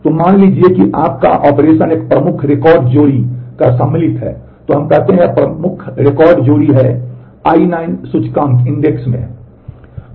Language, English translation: Hindi, So, suppose your operation is insert of a key record pair, so, let us say this is the key record pair and into index I 9